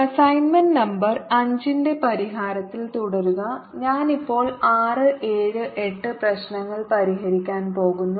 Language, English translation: Malayalam, continuing with solution of assignment number five, i am now going to solve problem number six, seven and eighth